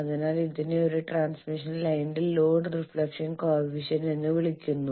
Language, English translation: Malayalam, So this is called Load Reflection coefficient of a transmission line